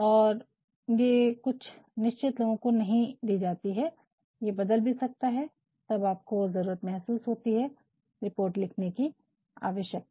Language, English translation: Hindi, And, this is notgiven to anyah fixed people, it may change also sometimes you may also feel the need and the necessity of writing reports